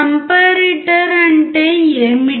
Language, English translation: Telugu, What is a comparator